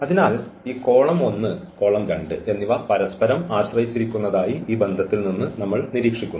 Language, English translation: Malayalam, So, what we observed at least from this relation that this column 1 and column 2 are dependent